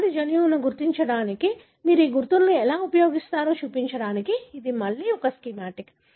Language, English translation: Telugu, This is a schematic again to show how do you use these markers to identify the disease gene